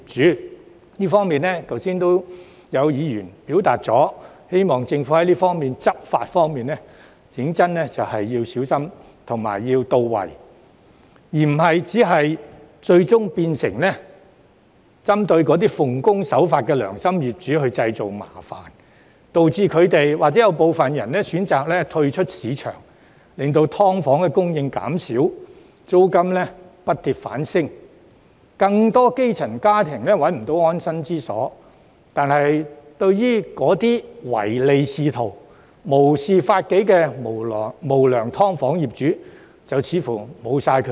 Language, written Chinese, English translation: Cantonese, 在這方面，剛才已有議員表示希望政府的執法工作小心、到位，而不會最終變成針對奉公守法的良心業主製造麻煩，導致部分業主選擇退出市場，令"劏房"供應減少，租金不跌反升，更多基層家庭找不到安身之所，但對於那些唯利是圖、無視法紀的無良"劏房"業主卻無計可施。, In this connection some Members have expressed their hope earlier that the Government would conduct its law enforcement work carefully and precisely so that its actions would not eventually make life difficult for law - abiding and responsible landlords thus causing some of them to choose to withdraw from the market leading to a drop in the supply of subdivided units resulting in an increase instead of a decrease in rents and rendering it impossible for even more grass - roots families to find a shelter while on the other hand there is still nothing we can do with unscrupulous landlords of subdivided units who think of nothing but money and have no regard for law